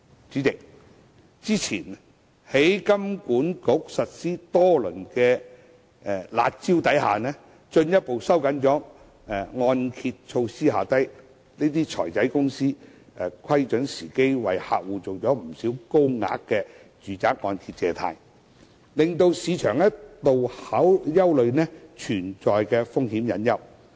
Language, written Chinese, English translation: Cantonese, 代理主席，香港金融管理局早前實施多輪"辣招"，進一步收緊按揭措施後，這些"財仔"公司窺準時機為客戶做了不少高額住宅按揭借貸，令市場一度憂慮存在風險隱憂。, Deputy President after the Hong Kong Monetary Authority HKMA implemented some time ago a number of rounds of curb measures to further tighten the mortgage lending criteria these intermediaries have seized the opportunity to grant to their clients many residential mortgage loans in large amounts and this has at one time aroused concern in the market about the hidden risks